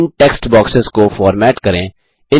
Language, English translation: Hindi, Format these text boxes